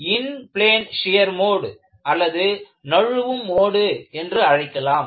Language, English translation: Tamil, And, you call this as Inplane Shear Mode or Sliding Mode